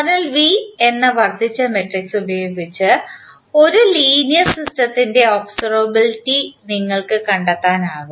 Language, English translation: Malayalam, So, using the augmented matrices that is V, you can find out the observability condition of linear a system